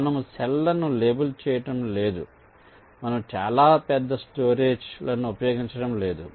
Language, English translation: Telugu, so we are not labeling cells, we are not using very large storage, only in